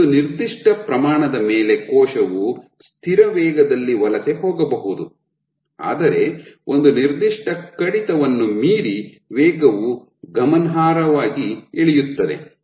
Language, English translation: Kannada, So, over a certain magnitude of forces the constant which a cell can migrate at constant velocity, but beyond a certain cutoff the velocity drops significantly